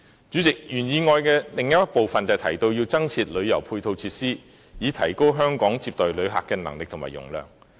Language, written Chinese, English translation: Cantonese, 主席，原議案的另一部分提到增設旅遊配套設施，以提高香港接待旅客的能力和容量。, President another part of the original motion mentioned the provision of additional tourism supporting facilities to upgrade Hong Kongs visitor receiving capability and capacity